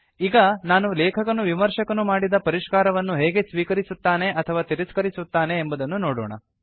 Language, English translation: Kannada, We will now show how the author can accept or reject changes made by the reviewer